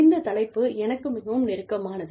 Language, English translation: Tamil, Topic, very, very, close to my heart